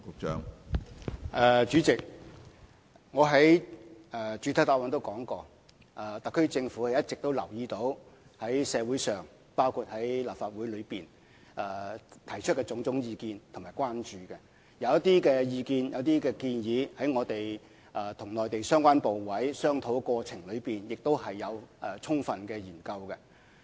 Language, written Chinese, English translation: Cantonese, 主席，我在主體答覆中也說過，特區政府一直留意到社會上，包括立法會內提出的種種意見和關注，而對於一些意見和建議，在我們與內地相關部委商討過程中也曾充分研究。, President as I said in the main reply the SAR Government has been paying attention to the different comments and concerns in society including those of the Legislative Council and some of these views and proposals have been thoroughly studied during our discussions with the relevant Mainland authorities